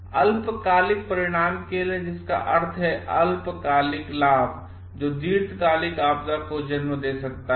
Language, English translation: Hindi, For this short term outcome which mean short term gain which may lead to a long term disaster